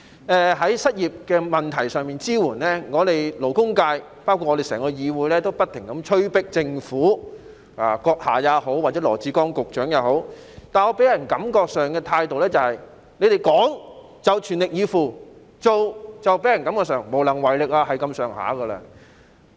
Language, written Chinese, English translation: Cantonese, 對於失業人士的支援，我們勞工界以至整個議會，都不停催迫政府，包括閣下和羅致光局長，但你們予人的感覺是，你們講就全力以赴，但做卻令人感覺是無能為力。, We in the labour sector and even this entire Council have continuously urged the Government including you Chief Executive and Secretary Dr LAW Chi - kwong to provide support for the unemployed . But our impression is that while you verbally pledged to make the utmost effort to provide support you have given people the feeling that you are incapable of action